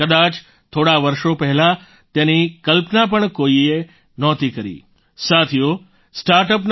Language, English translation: Gujarati, Perhaps, just a few years ago no one could have imagined this happening